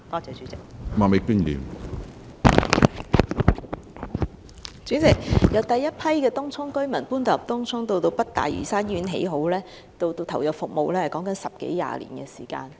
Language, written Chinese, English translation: Cantonese, 主席，由當局將第一批居民遷往東涌，及至北大嶼山醫院落成及投入服務，其間已經過十多二十年的時間。, President some 10 or 20 years have passed from the time of the authorities relocation of the first batch of residents to Tung Chung to the completion of NLH and its service commissioning